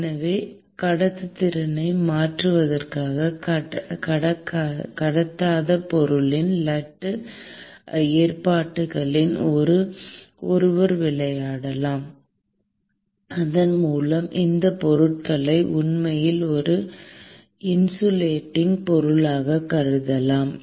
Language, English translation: Tamil, So, one can play with the lattice arrangement of the non conducting material in order to change the conductivity, and thereby consider those materials as actually an insulating material